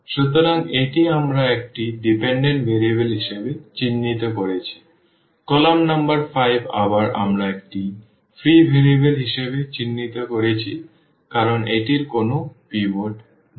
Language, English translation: Bengali, So, this we have marked as a dependent variable, column number 5 again we have marked as a free variable because it does not have a pivot